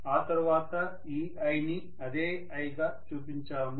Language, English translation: Telugu, And we showed this i to be the same i